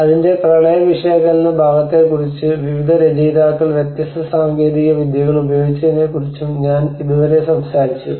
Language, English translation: Malayalam, I mean till now I talked about the flood analysis part of it and how different techniques have been used by various authors